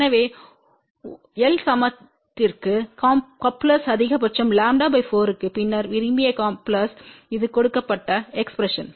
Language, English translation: Tamil, So, coupling is maximum for l equal to lambda by 4 and then for desired coupling this is the expression given ok